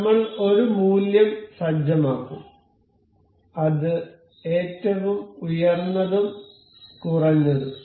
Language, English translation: Malayalam, We will set we will set a value that is maximum and one is minimum